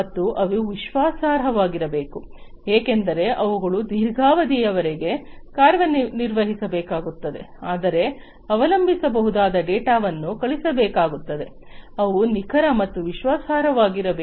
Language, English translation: Kannada, And they have to be reliable, because not only they have to operate for long durations, but will also have to throw in data which can be relied upon; they have to be accurate and reliable